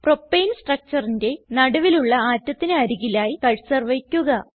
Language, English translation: Malayalam, Place the cursor near the central atom of Propane structure